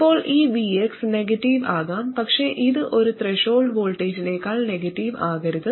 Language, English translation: Malayalam, Now this VX could be negative but it cannot be more negative than one threshold voltage